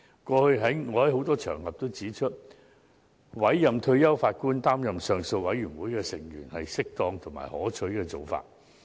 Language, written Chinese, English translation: Cantonese, 過去，我曾在許多場合指出，委任退休法官擔任上訴委員會的成員是適當及可取的做法。, I have mentioned on various occasions that it is appropriate and desirable to appoint retired judges as panel members of the Appeal Board